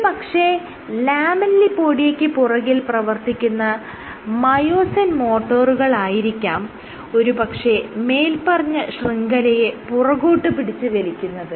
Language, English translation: Malayalam, it suggests that probably it is again the myosin motors behind the lamellipodia which is pulling the entire network backwards